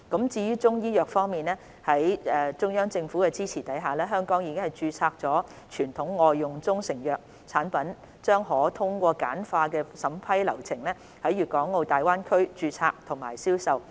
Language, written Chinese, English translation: Cantonese, 至於中醫藥方面，在中央政府的支持下，香港已註冊的傳統外用中成藥產品將可通過簡化的審批流程在粵港澳大灣區註冊及銷售。, As regards Chinese medicine with the support of the Central Government traditional proprietary Chinese medicine products for external use registered in Hong Kong will be allowed to be registered and sold in the Guangdong - Hong Kong - Macao Greater Bay Area GBA through a streamlined approval process